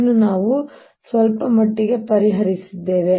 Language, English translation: Kannada, this we have solve quite a bit